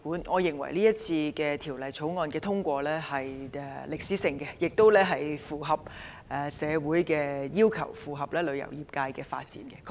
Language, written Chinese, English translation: Cantonese, 我認為《條例草案》如獲通過，將取得歷史性進展，亦符合社會要求，以及配合旅遊業界的發展。, In my view the Bill if passed will represent a historic progress meet the demand of the community and complement the development of the travel industry